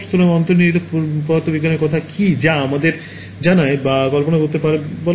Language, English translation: Bengali, So, what is the sort of underlying physics that tells us whether or not we can image